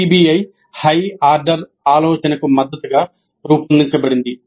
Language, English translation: Telugu, PBI is designed to support higher order thinking